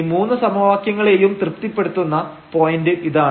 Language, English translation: Malayalam, This is the point which is which satisfies all these 3 equations